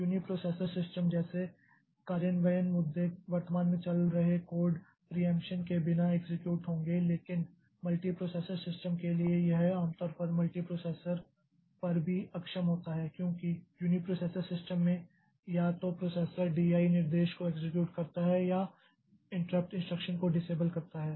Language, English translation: Hindi, Implementation issues like uniprocessor system currently running code would execute without preemption but for multiprocessor system it is generally too inefficient on multiprocessors because in a uniprocessor system if it the processor executes a D